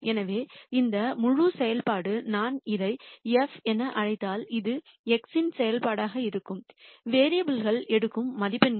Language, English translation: Tamil, So, this whole function if I call this as f, this is going to be a function of x the values that the variables take